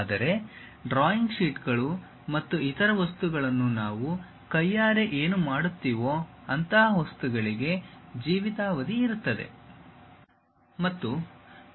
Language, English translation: Kannada, Whereas, a drawing sheets and other things what manually we do they have a lifetime